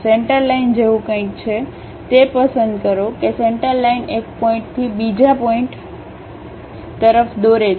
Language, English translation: Gujarati, There is something like a Centerline, pick that Centerline draw from one point to other point